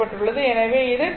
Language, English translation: Tamil, So, it will be 2